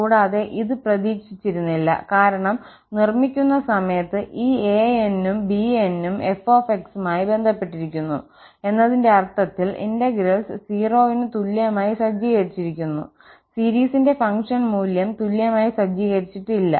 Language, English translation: Malayalam, And, also, this was not expected because of the construction, and during the constructions, these an’s and bn’s were related to f in the sense of the integrals were set equal to 0, not the function value of the series was set equal